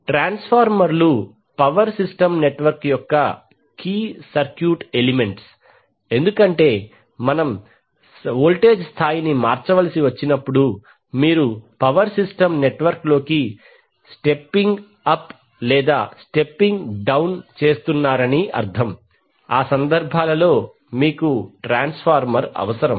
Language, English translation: Telugu, Transformer are the key circuit elements of power system network why because whenever we have to change the voltage level that means either you are stepping up or stepping down in the power system network you need transformer for those cases